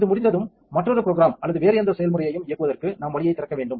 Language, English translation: Tamil, When it's done in order to go on and run another program or any other process, we must open the way